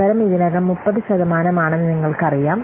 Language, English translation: Malayalam, And you know the chance is already 30 percent